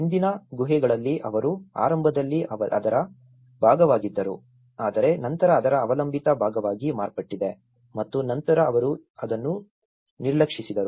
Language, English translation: Kannada, In the earlier caves, initially they were part of it but then there has become a dependent part of it and then they ignored it